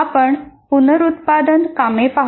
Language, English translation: Marathi, So let us look at reproduction tasks